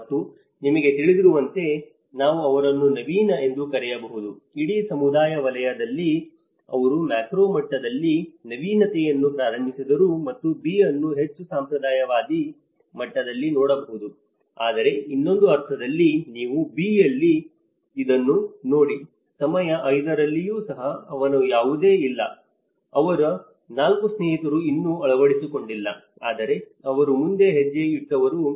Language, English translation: Kannada, And we call; we can call him at an innovative at you know, in a whole community sector, he is the one who started that is innovative at a macro level and B could be looked in a more of a conservative level but in the other sense, if you look at it in the B, even at time 5, his none of; 4 of his friends have not still adopted but he is one who has taken a step forward